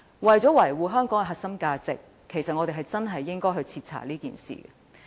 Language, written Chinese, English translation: Cantonese, 為了維護香港的核心價值，我們確實應該徹查此事。, In order to safeguard the core values of Hong Kong a thorough investigation of the incident should indeed be conducted